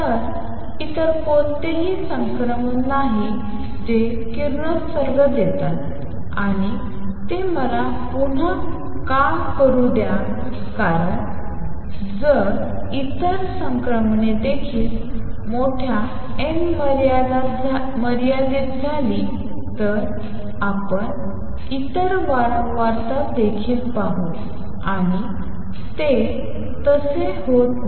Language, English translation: Marathi, So, there is no other transition that gives out radiation and why is that let me repeat because if other transitions also took place in large n limit, we will see other frequencies also and that does not happens